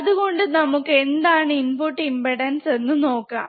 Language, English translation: Malayalam, So, we will we understand what is input impedance, right